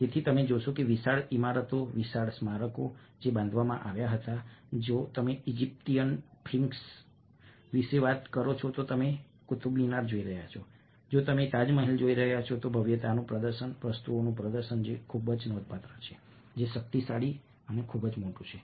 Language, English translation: Gujarati, so you find that, ah, the huge buildings, huge monuments which were built, if you are talking about egyptian sphinx, if you are looking at the qutub minar, if you are looking taj mahal, display of grandeur, display of things which are very significant, which are powerful, which are big